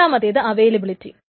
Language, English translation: Malayalam, The second is availability